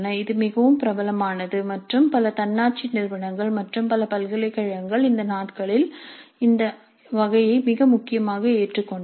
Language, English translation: Tamil, This is fairly popular and many autonomous institutes as well as many universities have adopted this type much more prominently these days